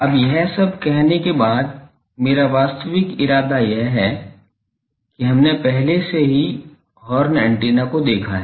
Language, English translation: Hindi, Now, after saying all these my actual intention is that we have already seen the horn antenna